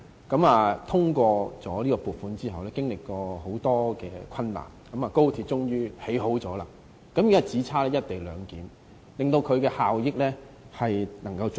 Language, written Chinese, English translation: Cantonese, 我們通過撥款後，經歷了很多困難，高鐵終於竣工，現在只差"一地兩檢"，才能發揮最大的效益。, We overcame many more difficulties after the passage of the funding proposal . The XRL is now finally completed and all it takes to maximize the effectiveness of the XRL is to endorse the co - location arrangement